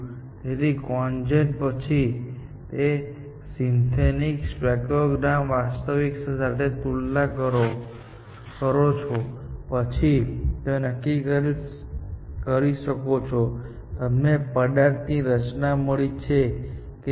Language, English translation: Gujarati, So, after CONGEN, you produce a synthetic spectrogram, compared with real and then, you can decide, whether you have found the structure of the material or not